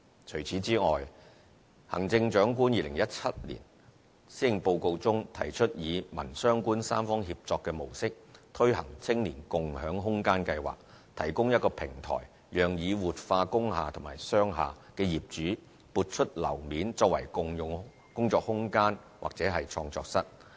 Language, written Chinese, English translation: Cantonese, 除此之外，行政長官2017年施政報告中提出以民、商、官三方協作的模式推行"青年共享空間計劃"，提供一個平台讓已活化工廈和商廈的業主撥出樓面，作為共用工作空間或創作室。, Additionally the Chief Executive proposed a community - business - Government tripartite partnership in her 2017 Policy Address the Space Sharing Scheme for Youth . The Scheme is a platform for owners of revitalized industrial buildings and commercial buildings to contribute floor areas for the operation of co - working space or studios